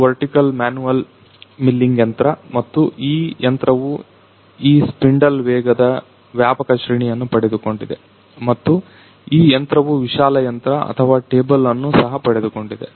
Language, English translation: Kannada, This is the vertical manual milling machine and this machine has got wide range of this spindle speed and this machine has got wide machine or t able as well